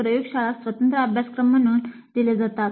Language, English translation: Marathi, The laboratory course is offered as an independent course